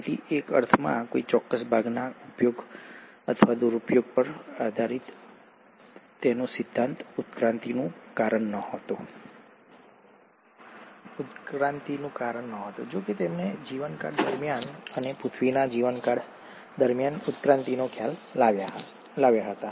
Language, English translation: Gujarati, So in a sense, his theory based on use or disuse of a particular part was not the reason for evolution, though he did bring in the concept of evolution during the course of life, and in the course of earth’s life